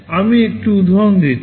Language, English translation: Bengali, I am giving one example